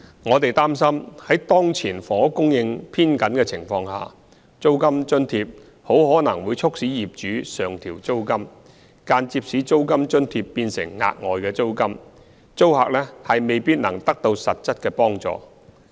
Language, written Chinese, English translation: Cantonese, 我們擔心在當前房屋供應偏緊的情況下，租金津貼很可能會促使業主上調租金，間接使租金津貼變成額外租金，租客未必能得到實質的幫助。, We are concerned that in the midst of the present tight housing supply rent subsidy may prompt the landlords to increase rent thereby indirectly turning the rent subsidy into additional rent leaving the tenants with no effective assistance